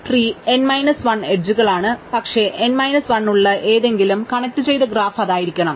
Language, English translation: Malayalam, Trees are n minus 1 edges, but any connected graph with n minus 1 must be it